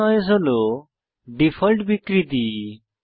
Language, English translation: Bengali, Soft noise is the default distortion